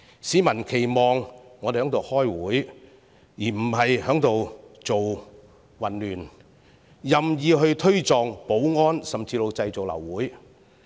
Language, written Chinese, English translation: Cantonese, 市民期望我們開會，而非製造混亂、任意推撞保安人員，甚至製造流會。, Members of the public expect us to attend meetings instead of creating chaos shoving the security staff arbitrarily or even causing the meetings to be aborted